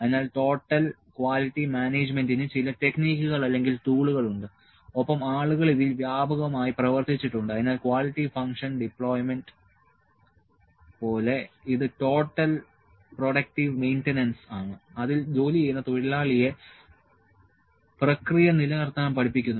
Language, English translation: Malayalam, So, they are certain techniques certain tools of total quality management and people have worked extensively in this, so, like quality function deployment that is the workers or the total productive maintenance in which the worker who is working is taught to maintain the process as well